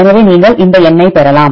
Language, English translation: Tamil, So, you can get this number